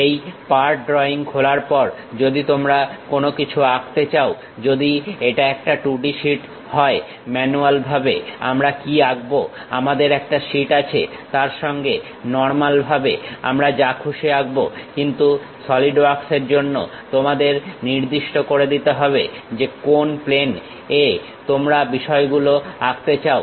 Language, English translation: Bengali, After opening this part drawing, if we want to draw anything if it is a 2D sheet what manually we draw, we have a sheet normal to that we will draw anything, but for Solidwork you have to really specify on which plane you would like to draw the things